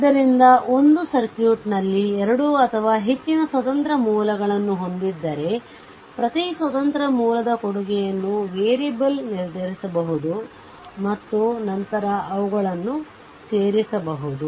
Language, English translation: Kannada, So, if a circuit has 2 or more independent sources one can determine the contribution of each independent source to the variable and then add them up